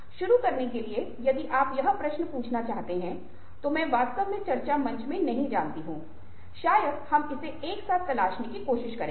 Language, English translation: Hindi, so, to begin with, if you ask this question i don't really know in the discussion forum probably we will try to explore it together